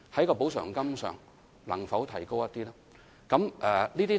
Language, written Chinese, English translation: Cantonese, 特惠津貼能否略為提高呢？, Can the amounts of compensation be increased slightly?